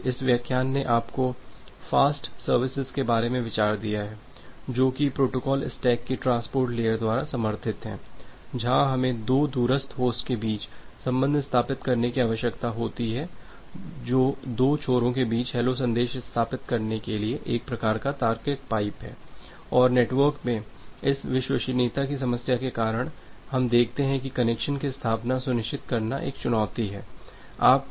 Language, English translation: Hindi, So, this particular lecture it has given you the idea about the fast services, fast of the services which is being supported by the transport layer of the protocol stack, where we need to establish the connection between two remote host which is a kind of logical pipe to establish the hello messages between two end and because of this reliability problem in the network, we see that ensuring the connection establishment is a challenge